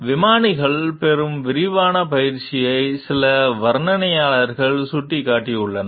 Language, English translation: Tamil, Some commentators have pointed out the extensive training that pilots receive